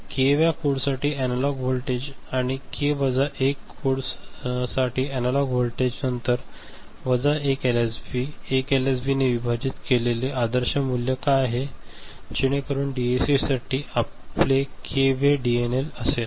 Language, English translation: Marathi, Analog voltage for k th code and analog voltage for k minus 1 code, then minus 1 LSB, what is the ideal value divided by 1 LSB, so that is your k th DNL for the DAC is it all right